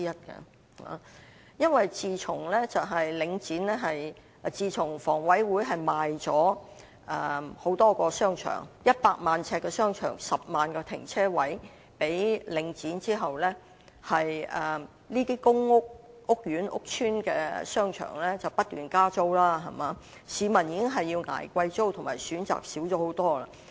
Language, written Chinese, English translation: Cantonese, 自從房屋委員會向領展出售面積總共達100萬呎的多個商場及10萬個停車位後，這些公屋屋苑或屋邨的商場不斷加租，市民已經要捱貴租，而且選擇少了許多。, Since the divestment of shopping arcades with a total area of 1 million sq ft and 100 000 parking spaces to The Link REIT by the Housing Authority HA the rent has continuously increased in the shopping arcades of these PRH or HOS estates . The public are already paying high rents but with far less choices